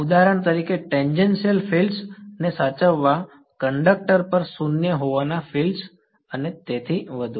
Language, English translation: Gujarati, For example, tangential fields to be conserved, fields to be zero on a conductor and so on ok